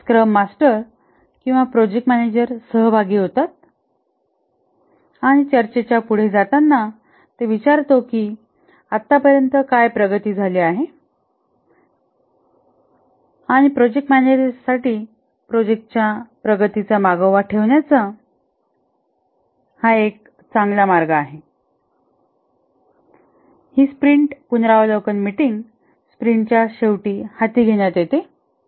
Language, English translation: Marathi, The scrum master or the project manager participates and as the discussion proceeds, he picks up that what is the progress that has been achieved so far and this is a good way for the project manager to track the progress of the project